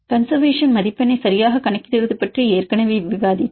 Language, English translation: Tamil, Already we discussed about the calculation of conservation score right